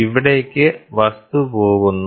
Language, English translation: Malayalam, So, the object goes here